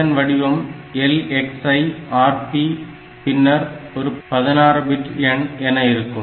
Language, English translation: Tamil, So, LX the format is like this LXI Rp some 16 bit value